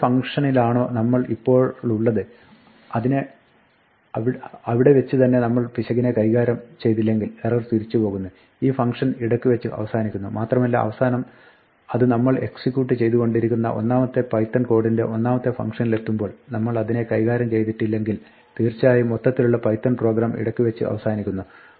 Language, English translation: Malayalam, If we do not handle it in the function where we are right now, the error goes back this function aborts it goes back and finally, when it reaches the main thread of control the first function of the first python code, that we are executing there if we do not handle it then definitely the overall python program aborts